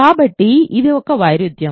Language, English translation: Telugu, So, that is a contradiction